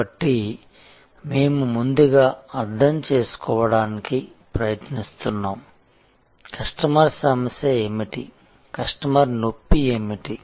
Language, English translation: Telugu, So, we are trying to first understand, what is the customer problem, what is the customer pain